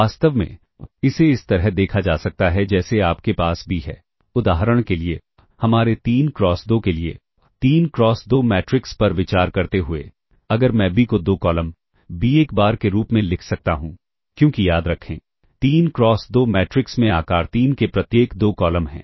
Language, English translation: Hindi, In fact, this can be seen as if you have b for instance for our 3 cross 2 considering 3 cross 2 matrices if i can write b as two columns b 1 because remember 3 cross 2 matrix has two columns each of size 3 and the matrix a as this is just for the purpose of illustration a 1 bar first column a 2 bar